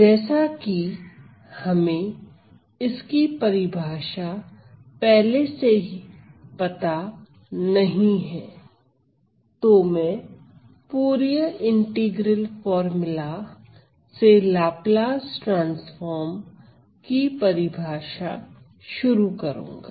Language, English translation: Hindi, So, since we do not know the definition of a priory I am going to start the definition of Laplace transform by considering the Fourier integral formula